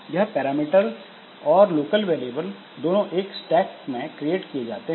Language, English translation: Hindi, Now this parameters and this local variables so these two so they are created into the stack